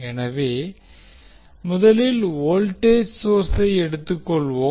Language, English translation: Tamil, So lets us first take the voltage source